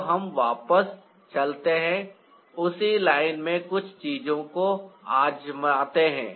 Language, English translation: Hindi, so, ah, let's go back, try out certain things in the same line